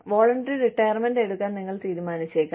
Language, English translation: Malayalam, You may decide, to take voluntary retirement